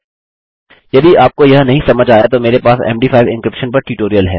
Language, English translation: Hindi, If you dont understand this I have a tutorial on MD5 encryption